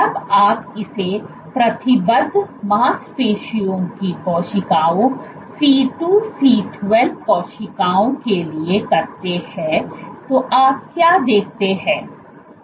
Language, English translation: Hindi, When you do it for committed muscle cells C2C12 cells, what you see is